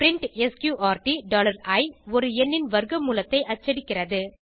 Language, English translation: Tamil, print sqrt $i prints square root of a number